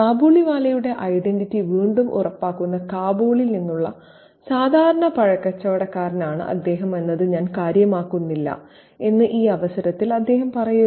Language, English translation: Malayalam, So, at this point he says that I don't care that he is just an ordinary fruit peddler from Kabul, which again reinforces the identity of the Kabaliwala and the fact that he is an aristocratic Bengali man